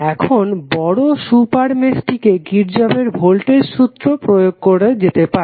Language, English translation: Bengali, Now, larger super mesh can be used to apply Kirchhoff Voltage Law